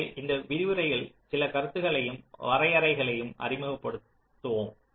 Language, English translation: Tamil, so in this lecture just let us introduce, ah, just ah, few concepts and definitions